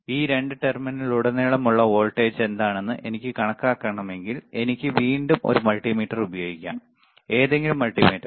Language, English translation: Malayalam, If I want to measure what is the voltage across these two terminal, I can again use a multimeter, all right any multimeter